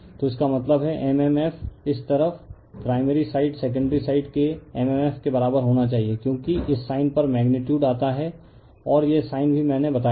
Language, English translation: Hindi, So, that means, mmf this side primary side must be equal to mmf of the secondary side as the magnitude on this sign come, right and this sign also I also I told you